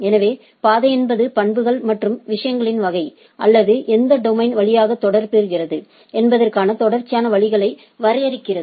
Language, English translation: Tamil, So, path is defined a series of ways within the properties and type of things or which domain it is hopping through